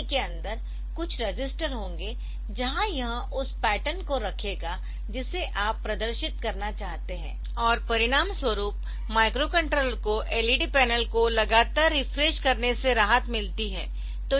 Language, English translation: Hindi, So, there will be some register inside the LCD where it will hold the petal that you want to display and as a result the microcontroller is a relieved of updating of continually beneficing the LED panel ok